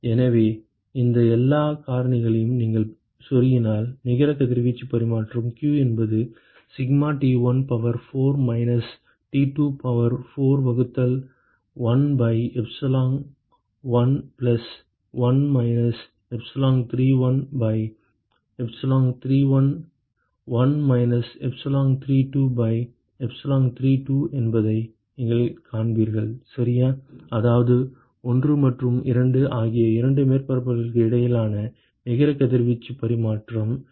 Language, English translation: Tamil, So, if you plug in all these factors, you will find that the net radiation exchange q is given by the sigma T1 to the power of 4 minus T2 to the power of 4 divided by 1 by epsilon1 plus 1 minus epsilon31 by epsilon31 1 minus epsilon32 by epsilon32 ok, I mean that is the net radiation exchange between the two surfaces 1 and 2